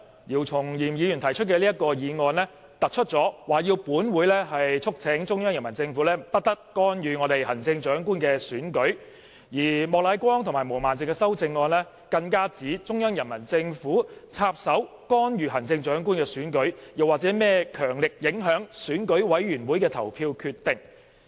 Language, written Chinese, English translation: Cantonese, 姚松炎議員今天提出的議案，特別要求本會促請中央人民政府不得干預本港的行政長官選舉，而莫乃光議員及毛孟靜議員的修正案更指中央人民政府插手干預行政長官選舉，又或是甚麼"強力影響"選舉委員會委員的投票決定。, The motion moved by Dr YIU Chung - yim today specifically asks this Council to urge the Central Peoples Government not to interfere in the Chief Executive Election in Hong Kong whereas the amendments proposed by Mr Charles Peter MOK and Ms Claudia MO even allege that the Central Peoples Government has meddled in the Chief Executive Election or vigorously influenced the voting decisions of members of the Election Committee EC